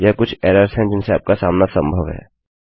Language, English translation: Hindi, These are some of the errors you are likely to encounter